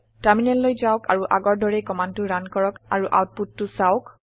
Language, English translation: Assamese, Switch to the terminal and run the command like before and see the output